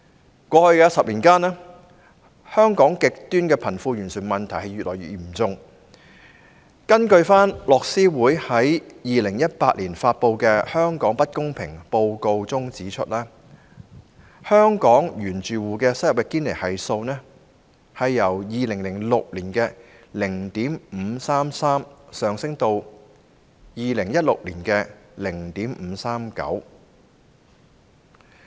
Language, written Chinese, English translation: Cantonese, 在過去10年間，香港極端的貧富懸殊問題越來越嚴重，樂施會在2018年發表的《香港不平等報告》指出，香港原住戶收入的堅尼系數由2006年的 0.533 上升至2016年的 0.539。, Over the past decade the extreme disparity between the rich and the poor in Hong Kong has grown increasingly serious . According to the Hong Kong Inequality Report published by Oxfam in 2018 the Gini coefficient of Hong Kong based on original household income has risen from 0.533 in 2006 to 0.539 in 2016